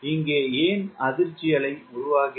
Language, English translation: Tamil, why there is the formation of shock wave here